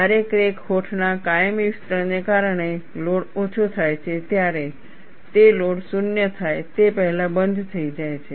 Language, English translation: Gujarati, When the load is reduced, due to permanent elongation of the crack lips, they close before the load is 0